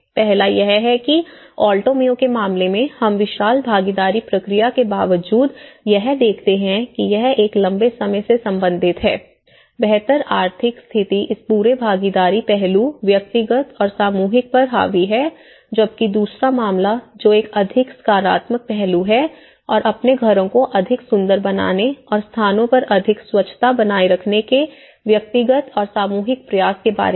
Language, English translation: Hindi, One is, in the first case of Alto Mayo, we see the despite of huge participation process but related in a long run, the better economic status have dominated this whole participation aspect whereas the individual and the collective, the second case which is a more of a positive aspect and the individual and collective efforts of making their houses more beautiful and making the places more hygiene